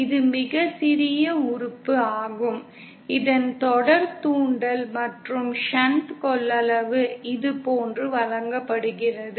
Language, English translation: Tamil, So this is a very small element that is the series inductance and shunt capacitances are given like this